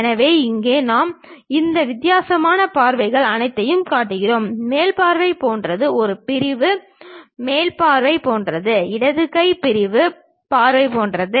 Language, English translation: Tamil, So, here we are showing all these different views; something like the top view, something like sectional front view, something like left hand sectional view